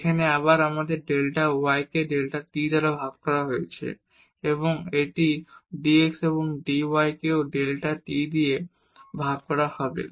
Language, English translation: Bengali, Here again we have delta y divided by delta t and it is dx and dy will be also divided by delta t